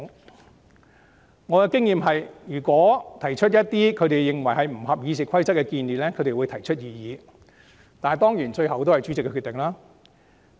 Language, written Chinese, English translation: Cantonese, 以我的經驗，如議員提出一些他們認為不符《議事規則》的做法或建議，他們會提出異議，當然最終由主席作出決定。, In my experience if Members propose some practices or make suggestions that they consider inconsistent with RoP they will raise their objection . Of course the President makes the final decision